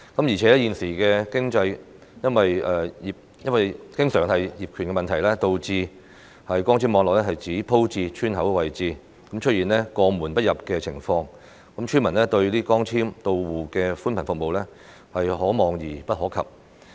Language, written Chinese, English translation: Cantonese, 而且，現時經常因為業權的問題，導致光纖網絡只鋪設至村口的位置，出現過門不入的情況，村民對光纖到戶的寬頻服務是可望而不可及。, Besides it is now often due to ownership problems that fibre - based networks can only be extended to the entrances of villages without reaching individual households inside the villages . Fibre - to - the - home broadband services are just within sight but beyond reach for villagers